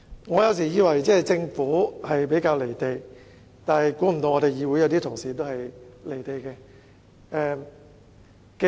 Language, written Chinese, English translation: Cantonese, 我有時以為政府比較"離地"，想不到議會內一些同事也同樣"離地"。, I sometimes think that the Government is comparatively speaking divorced from the people . I did not expect some colleagues in this Council to be equally so